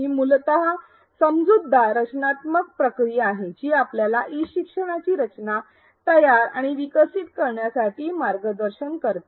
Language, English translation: Marathi, It is essentially a sensible structured process that guides us to design, create and develop e learning